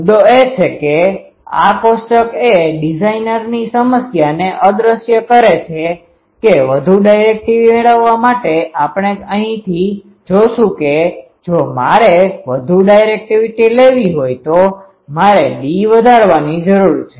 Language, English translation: Gujarati, Point is this table underscores the designer’s problem that to get more directivity we will see from here that if I want to have more directivity, I need to increase d but I cannot do it, infinitely my end is less than 0